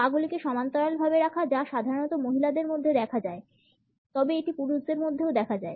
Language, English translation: Bengali, Parallel legs is something which is normally seen in women, but it is also same in men also